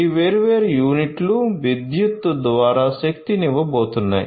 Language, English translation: Telugu, So, these different units are going to be powered through electricity